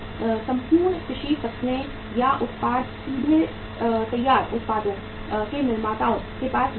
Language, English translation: Hindi, The entire agricultural crops or products do not go directly to the manufacturers of the finished products